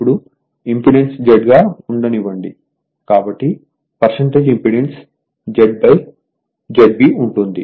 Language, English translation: Telugu, Now, let impedance is Z right; therefore, percentage impedance will be Z upon Z B